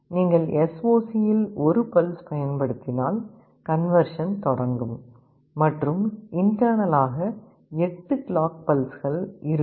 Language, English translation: Tamil, If you apply a pulse in SOC the conversion will start and internally there will be 8 clock pulses